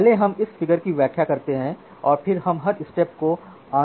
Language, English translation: Hindi, So, let us explain this figure and then we will go to the internals of every individual step